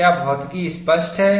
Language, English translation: Hindi, Is a physics clear